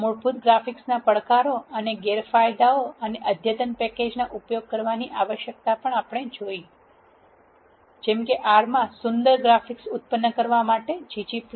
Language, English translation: Gujarati, We have also seen the challenges and disadvantages of basic graphics and the need for using the advanced packages; such as g g plot two for generating beautiful graphics in R